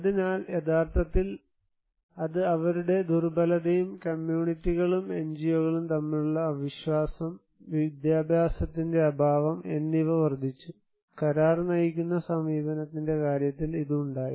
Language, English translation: Malayalam, So, actually that is increasing their vulnerability, mistrust between communities and NGOs and lack of education, so this had in case of contracted driven approach